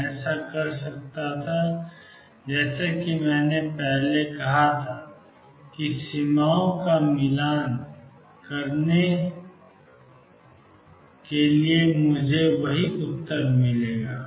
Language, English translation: Hindi, I could do it as I said earlier by matching the boundaries I will get the same answer